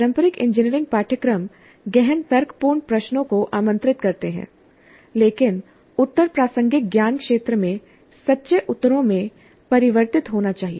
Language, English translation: Hindi, The traditional engineering courses invite deep reasoning questions, but the answers must converge to true within court's in the relevant knowledge domain